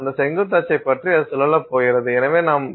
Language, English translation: Tamil, So about that vertical axis it is going to spin and therefore we can control the RPM